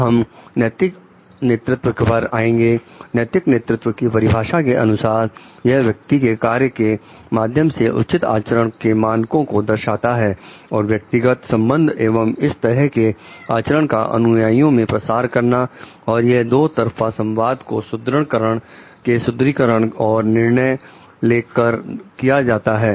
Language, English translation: Hindi, Next we will come to ethical leadership; ethical leadership is defined as the demonstration of normatively appropriate conduct through personal actions and interpersonal relationships and the promotion of such conduct to followers through two way communication reinforcement and decision making